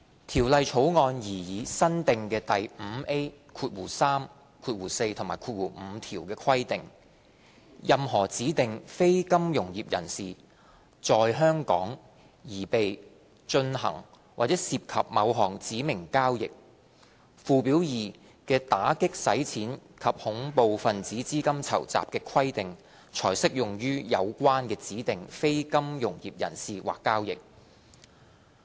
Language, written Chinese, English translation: Cantonese, 《條例草案》擬議新訂的第 5A3、4及5條規定，任何指定非金融業人士"在香港"擬備、進行或涉及某項指明交易，附表2的打擊洗錢及恐怖分子資金籌集的規定才適用於有關的指定非金融業人士或交易。, The proposed new section 5A3 4 and 5 requires a designated non - financial businesses and professions DNFBP in Hong Kong to prepare for carry out or be involved in a specified transaction in order for an anti - money laundering and counter - terrorist financing requirement set out in Schedule 2 to apply to that DNFBP or transaction